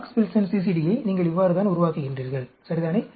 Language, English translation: Tamil, This is how you build up the Box Wilson CCD, ok